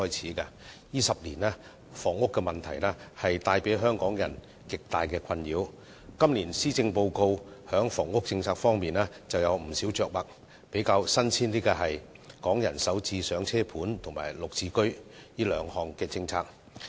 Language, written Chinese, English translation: Cantonese, 在這10年間，房屋問題為香港人帶來極大困擾，今年施政報告在房屋政策方面有不少着墨，包括"港人首置上車盤"及"綠置居"兩項新政策。, Over the past decade the housing problem has greatly perplexed Hong Kong people . The Policy Address this year has devoted considerable length to housing policies including two new policies namely Starter Homes and the Green Form Subsidised Home Ownership Scheme GSH